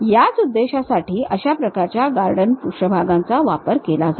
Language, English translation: Marathi, For that purpose these kind of Gordon surfaces will be used